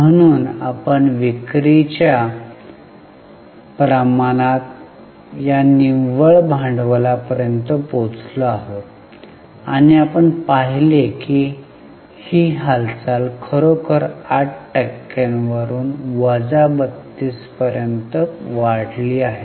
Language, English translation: Marathi, So, we had come up to this net working capital to sales ratio and we had seen that the movement is really very interesting from plus 8% to minus 32%